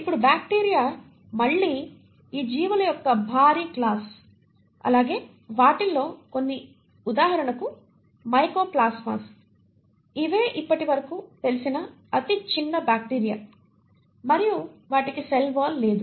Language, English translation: Telugu, Now bacteria again is a huge class of these organisms and some of them are for example Mycoplasmas which are the smallest known bacteria and they do not have a cell wall